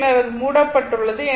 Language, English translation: Tamil, Then it is closed right